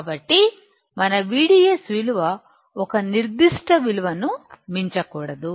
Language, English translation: Telugu, So, we should not exceed V D S more than a value